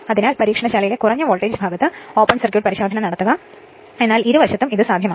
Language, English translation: Malayalam, That is why you perform open circuit test on thelow voltage side in the laboratory, But either side, it is possible